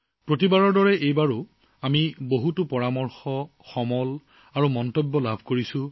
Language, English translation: Assamese, As always, this time too we have received a lot of your suggestions, inputs and comments